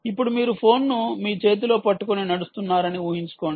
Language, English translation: Telugu, now imagine that you are holding the phone in this, in your hand, and you are walking